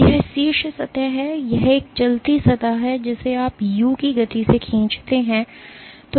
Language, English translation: Hindi, So, this is the top surface this is a moving surface which you pull at a speed of u